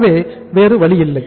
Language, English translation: Tamil, So there is no other way out